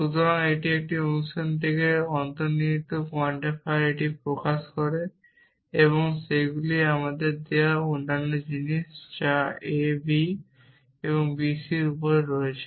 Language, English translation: Bengali, So, this is one clause express it in the implicit quantifier from and those are other things given to us which is on a b and on b c